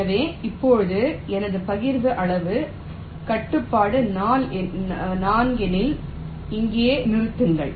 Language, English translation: Tamil, so now if my partition size constraint is four, let say stop here